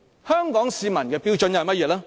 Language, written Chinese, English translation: Cantonese, 香港市民的標準又是甚麼呢？, What are the standards of the Hong Kong citizens then?